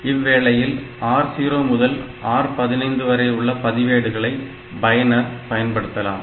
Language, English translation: Tamil, So, as an user, so I can use this R 0 to R 15 registers